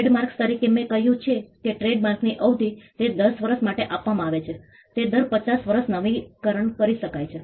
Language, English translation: Gujarati, Trademarks as I said trademarks the duration is it is granted for 10 years it can be renewed every 5 years